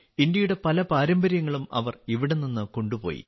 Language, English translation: Malayalam, They also took many traditions of India with them from here